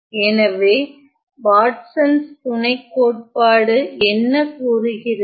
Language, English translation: Tamil, So, what does Watsons lemma says